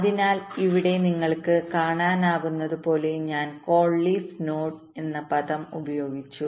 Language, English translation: Malayalam, so here, as you can see, i have use that term, call leaf node